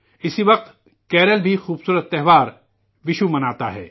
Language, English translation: Urdu, At the same time, Kerala also celebrates the beautiful festival of Vishu